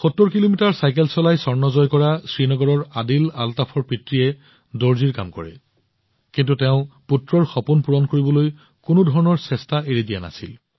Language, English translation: Assamese, Father of Adil Altaf from Srinagar, who won the gold in 70 km cycling, does tailoring work, but, has left no stone unturned to fulfill his son's dreams